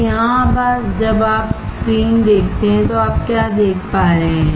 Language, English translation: Hindi, So, here when you see the screen what are you able to see